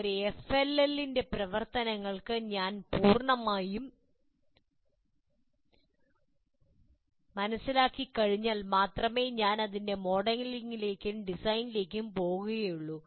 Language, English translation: Malayalam, So once I fully understand the function of an FLL, then only I can go to actual, it's modeling and design